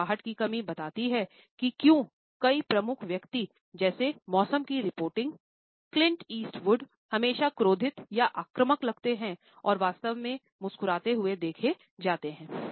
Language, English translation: Hindi, Lack of smiling explains why many dominant individuals such as weather reporting, Clint east wood always seem to the grumpy or aggressive and are really seen smiling